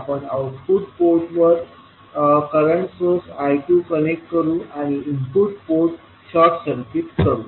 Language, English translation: Marathi, We will connect a current source I 2 at the output port and we will short circuit the input port